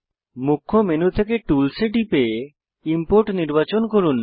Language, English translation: Bengali, From the Main menu, click Tools and select Import